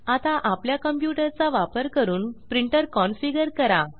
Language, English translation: Marathi, Now, lets configure the printer using our computer